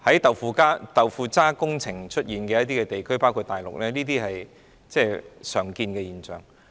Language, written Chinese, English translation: Cantonese, 在"豆腐渣"工程出現的地區，包括大陸，這些是常見現象。, In regions where tofu - dreg projects are found including the Mainland this is a common phenomenon